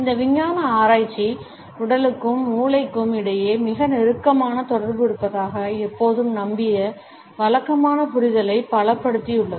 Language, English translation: Tamil, This scientific research has strengthened, the conventional understanding which always believed that there is a very close association between the body and the brain